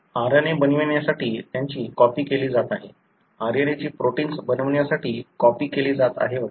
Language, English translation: Marathi, They are being copied to make RNA, the RNA is being copied to make proteins and so on